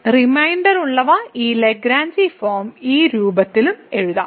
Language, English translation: Malayalam, So, we can we write this Lagrange form of the remainder in this form as well